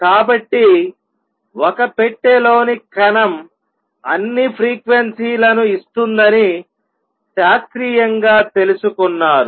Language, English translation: Telugu, So, classically just learnt that particle in a box will give all frequencies